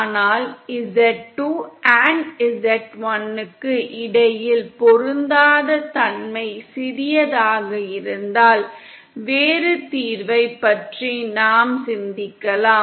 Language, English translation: Tamil, But suppose you have that mismatch between z2 & z1 as small, then we can think of a different solution